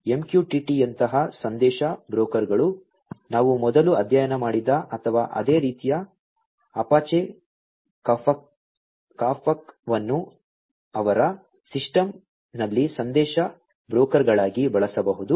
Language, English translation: Kannada, Message brokers such as MQTT, which we have studied before or similarly Apache Kafka could be used as message brokers in their system